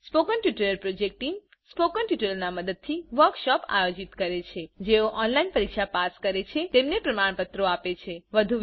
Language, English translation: Gujarati, The spoken tutorial project team conducts workshops using spoken tutorials, gives certificates to those who pass an online test